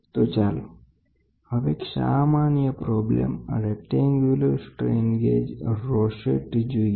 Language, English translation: Gujarati, So now, let us try to work a simple problem a rectangular strain gauge rosette